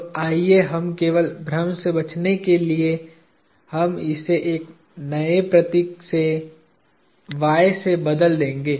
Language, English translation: Hindi, So, let us just to avoid confusion, we will avoid, we will replace this with a new symbol y